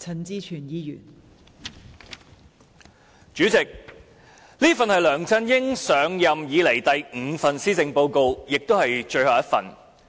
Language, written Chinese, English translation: Cantonese, 代理主席，這一份是梁振英上任以來第五份施政報告，亦是最後的一份。, Deputy President this is the fifth and final Policy Address delivered by LEUNG Chun - ying since he assumed office